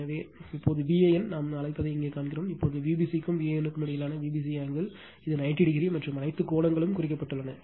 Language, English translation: Tamil, So, now, that V a n see here what we call and V b c angle between V b c and V a n, it is 90 degree right and all angles are marked right